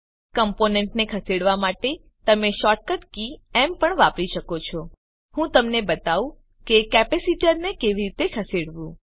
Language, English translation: Gujarati, For moving components you can also use the shortcut key M For example, let me show you how to move the capacitor